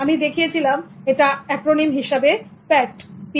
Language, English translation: Bengali, So I just put an acronym to indicate that I call it as pat